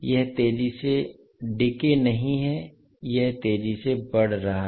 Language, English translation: Hindi, It is not exponentially decaying, it is a exponentially rising